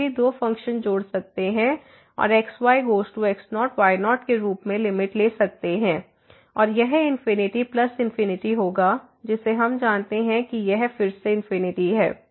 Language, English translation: Hindi, We can also add the two functions and take the limit as goes to and this will be infinity plus infinity which we know it is the infinity again